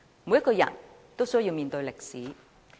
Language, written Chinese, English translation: Cantonese, 每個人也需要面對歷史。, Everyone has to face the history